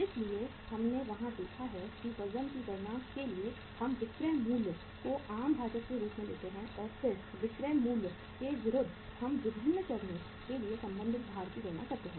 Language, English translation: Hindi, So we have seen there that for calculating the weights we take the selling price as the common denominator and then against the selling price we calculate the respective weights for the different stages